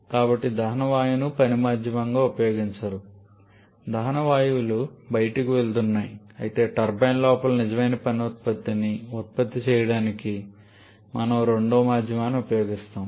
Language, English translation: Telugu, So, the combustion gaseous are not used as the working medium the combustion gases are going out whereas we are using a second medium to produce the real work output inside the turbine